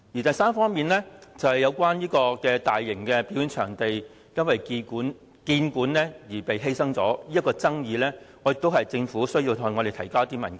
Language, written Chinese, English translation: Cantonese, 第三方面，就有關大型表演場地因興建故宮館而被犧牲的爭議，我認為政府需向我們提交部分文件。, Third regarding the dispute concerning building HKPM at the expense of a mega performance venue I think the Government has to produce some of the documents concerned